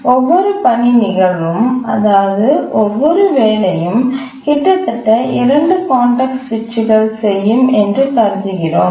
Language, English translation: Tamil, So we assume that each task instance, that is each job, incurs at most two context switches